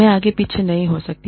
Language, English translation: Hindi, I cannot go, back and forth